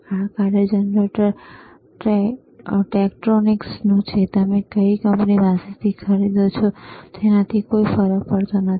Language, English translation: Gujarati, This function generator is from tTektronix again, it does not matter does not matter from which company you are buying, right